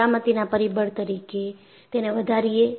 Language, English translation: Gujarati, So, increase the factor of safety